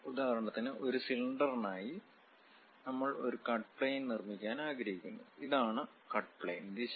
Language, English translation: Malayalam, For example, for a cylinder we want to make a cut plane; this is the cut plane direction